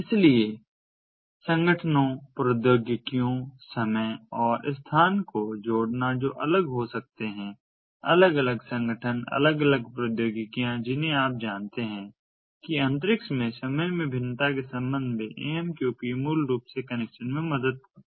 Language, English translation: Hindi, so connecting organizations, technologies, time and space which could be distinct from one, and so distinct organizations, distinct technologies, dist, ah, you know, with respect to time, variations in time, variations in the space, amqp basically helps in connection